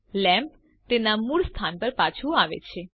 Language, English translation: Gujarati, The lamp moves back to its original location